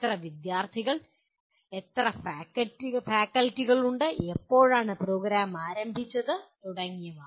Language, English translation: Malayalam, How many students, how many faculty are there, when did the program start and so on and on